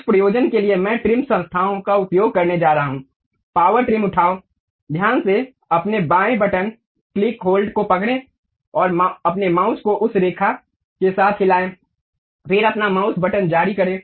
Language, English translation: Hindi, For that purpose, what I am going to do use trim entities, pick power trim, carefully click hold your left button click hold, and move your mouse along that line, then release your mouse button